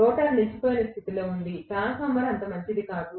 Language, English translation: Telugu, The rotor was at standstill condition, it was as good as a transformer nothing better than that